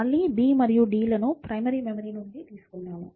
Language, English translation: Telugu, So, again b and d are brought from the main memory this time